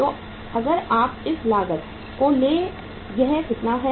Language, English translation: Hindi, So if you take this cost how much is this